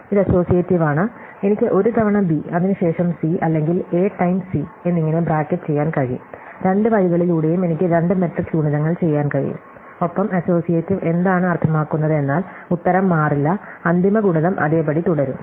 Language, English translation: Malayalam, So, it is associative, I can bracket it by as A times B followed by C or A times B followed by C, either way I have to do two matrix multiplications and what associativity means is that the answer will not change, the final product would remain the same